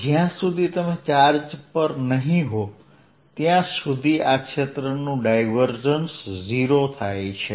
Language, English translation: Gujarati, so so as long as you are not sitting on the charge, the divergence of the field is zero